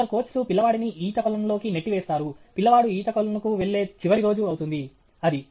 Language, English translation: Telugu, Like, some coaches will just put the child into the swimming pool, into the water; that is a last day the child will go to swimming pool